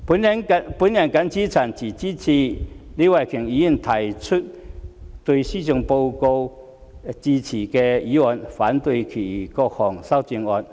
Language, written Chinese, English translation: Cantonese, 我謹此陳辭，支持李慧琼議員提出對施政報告致謝的議案，反對其他各項修正案。, With these remarks I support Ms Starry LEEs Motion of Thanks on the Policy Address and oppose all the amendments to it